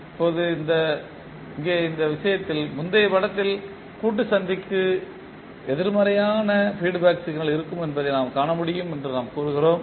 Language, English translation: Tamil, Now, here in this case we say that in the previous figure we can observe that the summing junction will have negative feedback signal